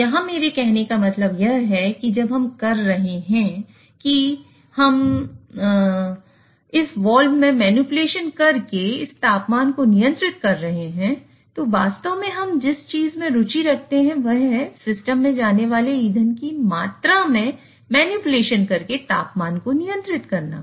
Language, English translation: Hindi, So what I mean by that is here when we are saying we are controlling this temperature by manipulating this wall, actually what we are interested in is manipulating the temperature by manipulating the amount of fuel which goes into the system